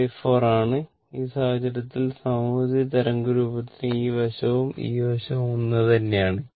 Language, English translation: Malayalam, But, this is your T by 4 and in that case for symmetrical waveform because this side area and this side area is same